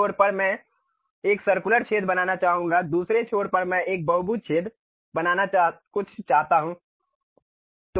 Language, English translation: Hindi, At one end I would like to make a circular hole other end I would like to make something like a polygonal hole